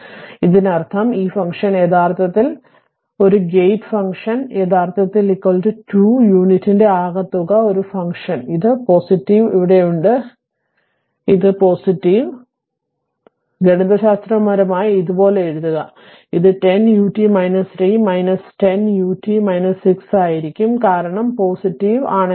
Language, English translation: Malayalam, Now, if you; that means, this function actually this function, this gate function actually is equal to sum of 2 unit steps a function that is this is one plus symbol is here, I made it plus right is equal is this one; that means, this one you can; that means, mathematically if you write like this; it will be 10 u t minus 3 minus 10 u t minus 6 because if this one plus this one